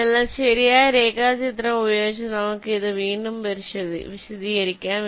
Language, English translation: Malayalam, so lets lets explain this again with a proper diagram